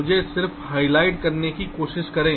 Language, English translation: Hindi, let me just try to just highlight